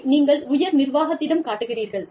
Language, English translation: Tamil, You show it to, the top management